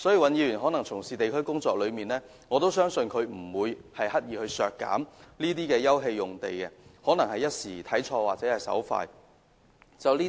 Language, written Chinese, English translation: Cantonese, 尹議員從事地區工作多年，我相信他不會刻意削減休憩用地，而可能只是一時看錯了或手文之誤。, Mr WAN has many years of experience in district work . I believe that it is not his intention to reduce open space . He may only have misread or mistakenly written the numbers